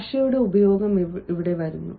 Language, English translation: Malayalam, and then comes the use of language